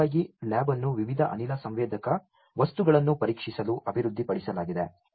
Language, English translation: Kannada, In fact, the lab was developed to test a variety of gas sensing materials